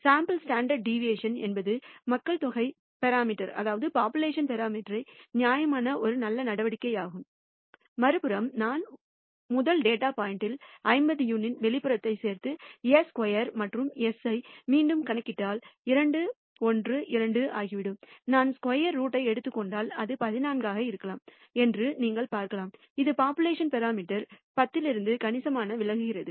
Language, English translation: Tamil, On the other hand, if I add outlier of 50 units to the first data point and recompute s squared and s, it turns out s squared turns out to be 212 and you can see if I take the square root it might be around 14, which is signficantly deviating from the population parameter 10